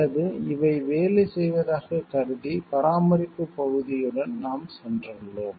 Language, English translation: Tamil, Or we have assumed like these are working, and we have gone ahead with the maintenance part